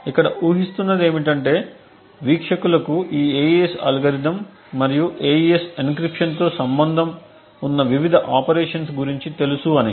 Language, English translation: Telugu, The assumption here is that the viewers know about this AES algorithm and the various operations that are involved with an AES encryption